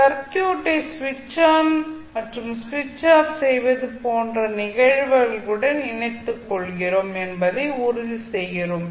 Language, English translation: Tamil, So, this makes sure that we are incorporating the phenomenons like switching on and switching off the circuit